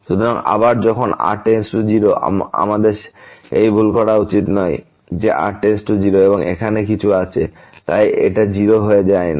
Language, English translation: Bengali, So, again when goes to 0, we should not do that mistake that goes to 0 and something is here; so it is it becomes 0, no